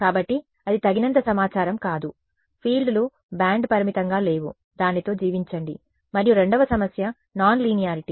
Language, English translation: Telugu, So, that was not enough info, it is just not there the fields are band limited, live with it and the second problem was non linearity right